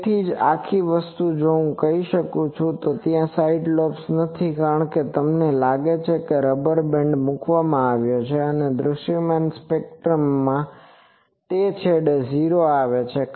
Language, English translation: Gujarati, That is why the whole thing if I can do this, then there are no side lobes because you think a rubber band has been put the 0s are coming at that two ends of the visible spectrum